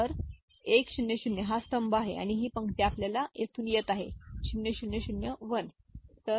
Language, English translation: Marathi, So, 1 0 0 this column and this row if you see 0 0 0 1 coming from here